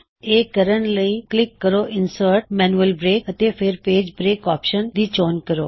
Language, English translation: Punjabi, This done by clicking Insert gtgt Manual Break and choosing the Page break option